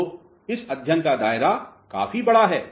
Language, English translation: Hindi, So, the scope of this study is quite big